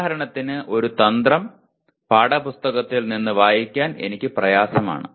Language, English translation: Malayalam, For example one strategy is I am having difficulty in reading from the textbook